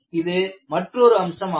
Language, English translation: Tamil, This is one aspect of this